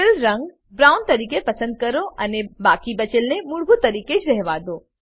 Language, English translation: Gujarati, Select Fill color as brown and leave the others as default